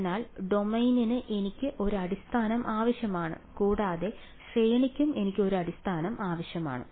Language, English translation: Malayalam, So, therefore, the for the domain I need a basis and for the range also I need a basis ok